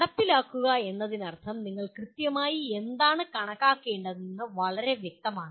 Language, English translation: Malayalam, Implement would mean it is very clear what exactly you need to calculate